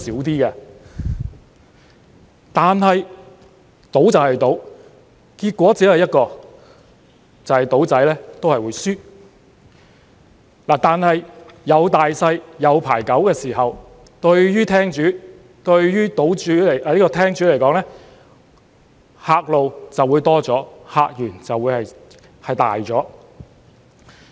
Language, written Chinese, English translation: Cantonese, 然而，賭就是賭，結果只有一個，就是"賭仔"都會輸，但有大細、有牌九的時候，對廳主來說，客路便會多了，客源會大了。, And yet gambling is gambling . There is only one outcome that is gamblers will lose . However by making available both the games of Sic Bo and Pai Kau gambling hall operators would enjoy a larger clientele and a bigger customer base